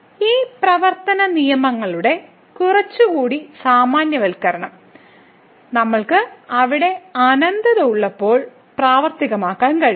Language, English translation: Malayalam, Some more generalization of these working rules, we can also work when we have infinities there